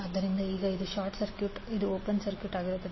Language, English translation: Kannada, So now this will be short circuited, this will be open circuited